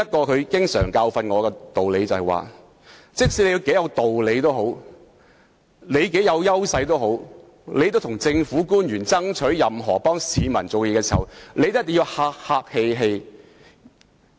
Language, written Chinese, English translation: Cantonese, 他經常提醒我一個道理，就是無論你有多大的道理和優勢，為市民向政府官員爭取任何東西時也一定要客氣。, He often reminded me of the truth that no matter how strong our justification or position was we had to be nice to government officials while fighting something for members of the public